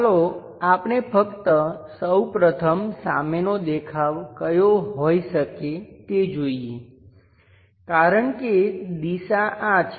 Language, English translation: Gujarati, Let us just first of all visualize it what might be the front view, because direction is this